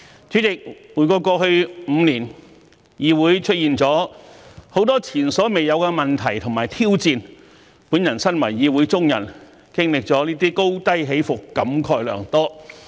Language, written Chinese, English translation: Cantonese, 主席，回顧過去5年，議會出現了許多前所未有的問題及挑戰，我身為議會中人，經歷這些高低起伏，感慨良多。, President looking back the Council encountered unprecedented problems and challenges over the past five years . As a Member those ups and downs fill me with emotions